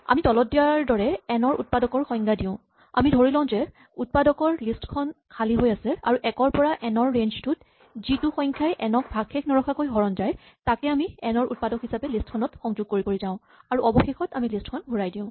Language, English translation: Assamese, We define factors of n as follows; we assume that the list of factors is empty, and for each number in the range 1 to n if that number is a divisor, is a factor of n we append it to the list of factors and eventually we return this list